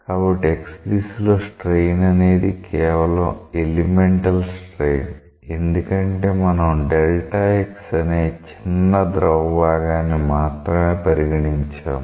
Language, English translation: Telugu, So, the strain along x this is the elemental strain because we have considered only a small part of the fluid which is having an extent of delta x